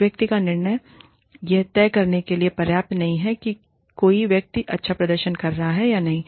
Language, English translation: Hindi, One person's judgement is not enough to decide, whether a person is performing, well or not